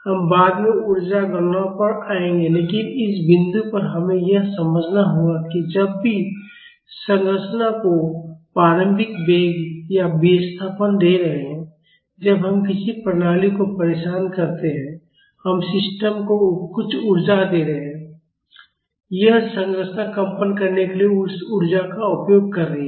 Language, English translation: Hindi, We will come to the energy calculations later, but at this point we have to understand that whenever we are giving an initial velocity or displacement to the structure that is when we disturb a system, we are giving some energy to the system, and the structure is utilizing that energy to vibrate